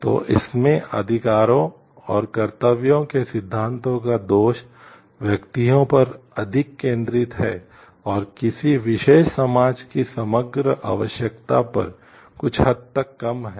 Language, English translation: Hindi, So, the drawback of the rights and duties theories in it focuses more on the individuals and somewhat less on the like overall requirement of a particular society